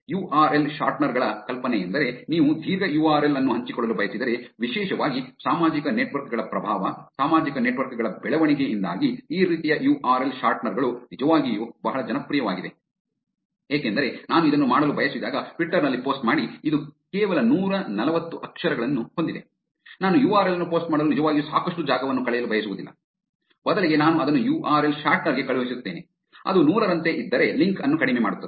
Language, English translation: Kannada, The idea for the URL shorteners is, if you want to share a long URL, particularly because of the social networks’ influence, social networks’ growth, these kinds of URL shorteners have actually become very, very popular because when I want to do a post in Twitter, which is only 140 characters, I do not want to really spend a lot of a space in just posting the URL, instead I would actually send it to the URL shortener, which will reduce the link, if it was like 100 characters it will just give me into bitly, bitly dot com slash some 6 or 8 unique characters which would redirect me to the actual website